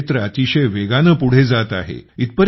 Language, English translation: Marathi, This sector is progressing very fast